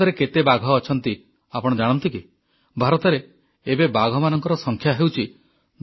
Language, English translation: Odia, The tiger population in India is 2967, two thousand nine hundred sixty seven